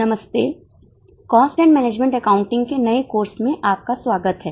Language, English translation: Hindi, Namaste Welcome to the new course that is a course on cost and management accounting